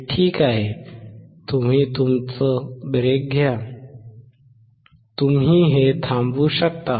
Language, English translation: Marathi, That is fine; you take your break; you can stop this